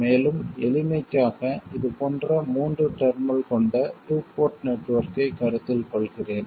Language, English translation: Tamil, And let me consider just for simplicity a 3 terminal 2 port network like this